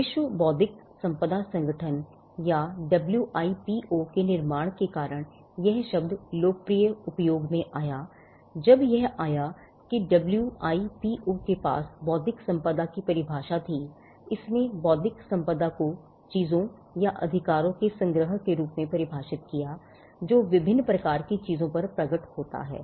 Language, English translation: Hindi, The term came to popular usage because of the creation of the World Intellectual Property Organization or the WIPO, when it came WIPO had a definition of intellectual property; it defined intellectual property as a collection of things or rights that manifest over different types of things